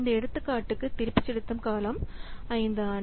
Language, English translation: Tamil, So, for this example, the payback period is year 5